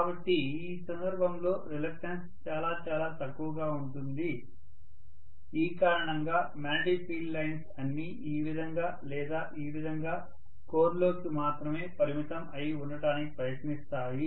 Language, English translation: Telugu, So the reluctance in this case will be really really low because of which the entire magnetic field lines will try to confine themselves only within the core either like this like this, hardly anything will escape into air